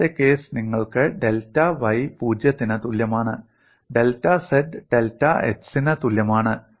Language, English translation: Malayalam, The second case you have delta y equal to 0 delta z equal to delta x, so it varies like this